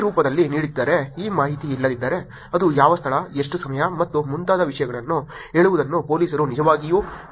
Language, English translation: Kannada, If it was not given in this form, if this information was not there, the police has to actually ask saying what location is it, what time is it, and things like that